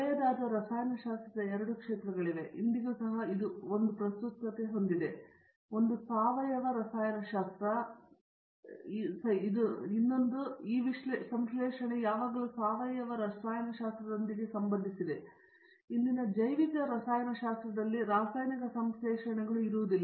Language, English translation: Kannada, There are two areas of chemistry which are old, but still it has a relevance to even today, one of them is synthesis organic chemistry, this synthesis has always associated with organic chemistry, but today it is no longer synthesis in organic chemistry, synthesis of chemicals